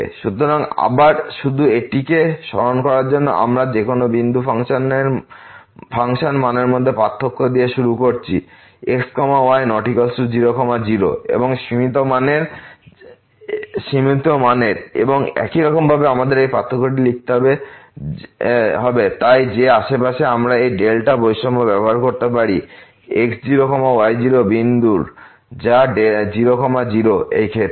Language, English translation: Bengali, So, again just to recall this so, we have started with the difference between the function value at any point not equal to and its limiting value and somehow we have to write down this difference in terms of the so that we can use this delta inequality from the neighborhood of the x naught y naught point which is in this case